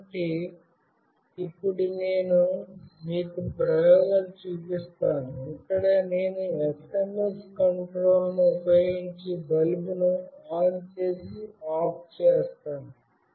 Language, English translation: Telugu, So, now I will be showing you the experiments, where I will be switching ON and OFF a bulb using SMS control